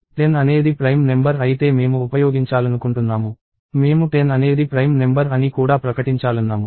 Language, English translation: Telugu, If 10 is a prime number I want to use, I want to declare that 10 is a prime number also